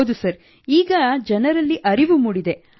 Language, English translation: Kannada, Yes Sir, Yes…Now people have realized